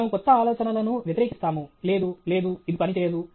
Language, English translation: Telugu, We resist new ideas; no, no, this will not work